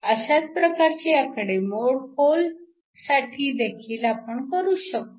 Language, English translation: Marathi, You can also do a similar calculation for the holes